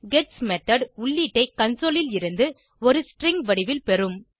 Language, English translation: Tamil, gets method gets the input from the console but in a string format